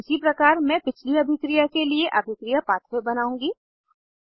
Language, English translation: Hindi, Likewise, I will create the reaction pathway for the previous reaction